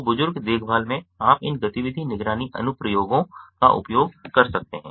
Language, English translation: Hindi, so in elderly care you are, you can use these activity monitoring applications in the entertainment industry